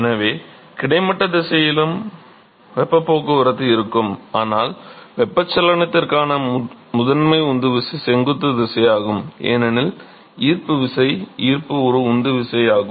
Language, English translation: Tamil, So, there will be heat transport in the horizontal direction too, but the primary driving force for convection is the vertical direction because of gravity, gravity is a driving force ok